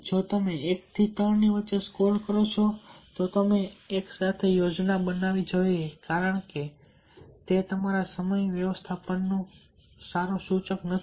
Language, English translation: Gujarati, if you score one to three, you should get a plan together, or what you want, to address this issues, because it is not a good indicator of your time management